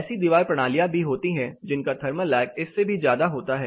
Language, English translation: Hindi, There are wall systems which are even more you know which have a larger thermal lag also